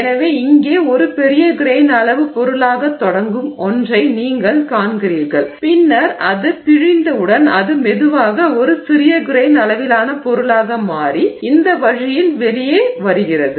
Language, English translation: Tamil, So, you see something that starts off as a large grain size material out here and then as it gets squeezed it slowly becomes a small grain sized material and comes out this way